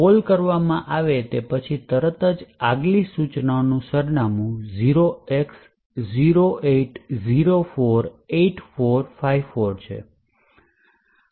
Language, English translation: Gujarati, So, soon after the call gets invoked the next instruction has the address 08048454